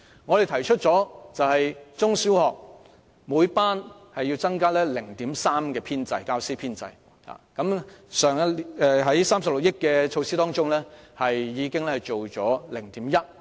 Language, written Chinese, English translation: Cantonese, 我們提出在中小學教師編制方面，每班師生比例要增加 0.3， 而透過去年的36億元撥款，有關比例已增加 0.1。, In respect of the teacher establishment in primary and secondary schools we have proposed that the teacher to pupil ratio in each class be increased by 0.3 and with the provision of 3.6 billion last year this ratio has increased by 0.1